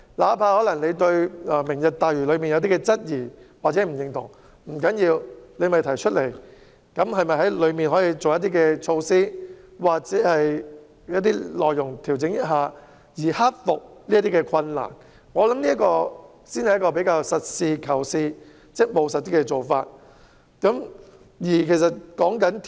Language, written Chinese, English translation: Cantonese, 哪怕有人對"明日大嶼"計劃有質疑或不認同，但不要緊，可以提出來討論，然後對當中的措施或內容加以修改或調整，盡量克服困難，我認為這才是實事求是及務實的做法。, It does not matter if some people have doubts or disagreements about the Lantau Tomorrow project; the project can be discussed and the relevant measures or contents can be amended or adjusted to minimize difficulties . I think this approach is down - to - earth and pragmatic